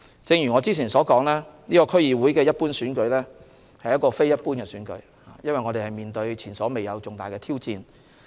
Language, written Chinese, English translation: Cantonese, 正如我之前所說，這次區議會一般選舉其實是非一般的選舉，因為我們面對前所未有的重大挑戰。, As I said just now this DC Election was in fact an extraordinary election as we were confronted with challenges of an unprecedented scale